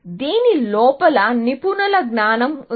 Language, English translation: Telugu, This had expert knowledge inside it